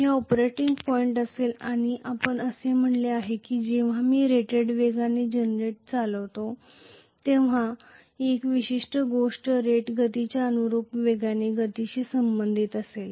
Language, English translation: Marathi, This will be the operating point and we said that this particular thing will correspond to a speed which is corresponding to rated speed, when I am driving the generator at rated speed